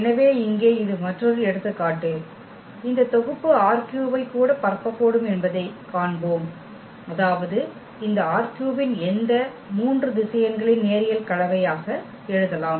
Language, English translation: Tamil, So, here this is another example where we will see that this set can also span R 3; that means, any element of this R 3 we can write down as a linear combination of these three vectors